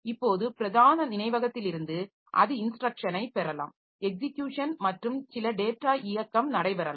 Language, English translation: Tamil, Now from the main memory so it can get instruction execution that can continue and some data movement can take place